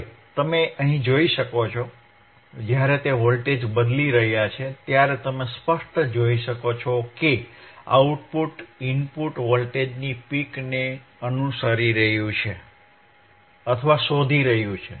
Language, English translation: Gujarati, Now, you can see here, when he is changing the voltage you can clearly see that the output is following the peak of the input voltagor de output is following the peak or detecting the peak of the input voltage